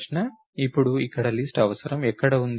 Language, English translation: Telugu, Now, where is the need for list here